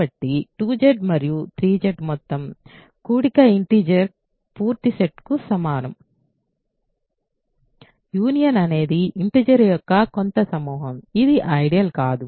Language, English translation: Telugu, So, the sum of 2Z and 3Z is equal to the full set of integers; the union is just some collection of integers which is not an ideal, ok